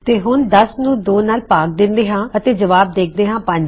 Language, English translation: Punjabi, Next, 10 divided by 2 is just half of 10 which is 5